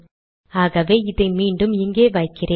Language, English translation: Tamil, So let me put this back here